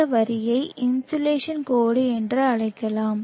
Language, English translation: Tamil, May be the isolation line we call it